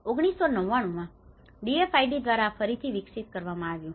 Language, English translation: Gujarati, This has been developed again by the DFID in 1999